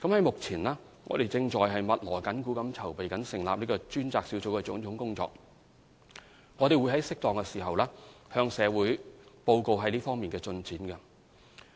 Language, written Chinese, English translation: Cantonese, 目前，我們正在密鑼緊鼓地籌備成立專責小組的種種工作，並會在適當時候向社會報告這方面的進展。, We are preparing for the establishment of the task force in full swing and will report progress to the public in due course